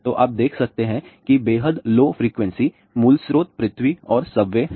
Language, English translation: Hindi, So, you can see that extremely low frequency, the sources are basically earth and subways